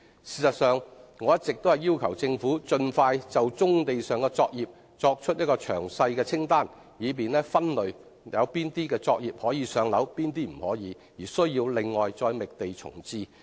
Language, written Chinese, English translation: Cantonese, 事實上，我一直要求政府盡快就棕地上的作業擬備一份詳細清單，以便分類哪些作業可以"上樓"，哪些不可"上樓"而需要另行覓地重置。, In fact I have all along requested the Government to expeditiously prepare a detailed list of brownfield operations for the purpose of distinguishing operations that can be relocated to buildings from operations that cannot be relocated to buildings and need to be resited elsewhere